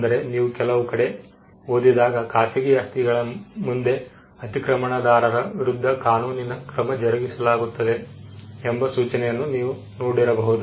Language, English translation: Kannada, So, when you would have read you would have seen these notices in front of some private property, trespassers will be prosecuted